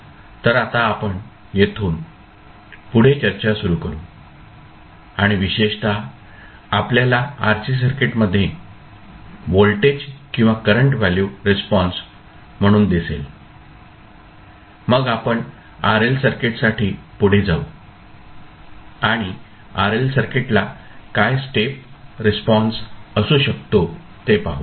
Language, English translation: Marathi, So, we will start our discussion from that point onwards and we will see the RC circuit response particularly the voltage and current value and then we will proceed for RL circuit and we will see what could be the step response for RL circuit